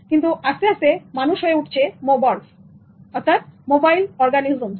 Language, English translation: Bengali, But humans have become mobarks, mobile organisms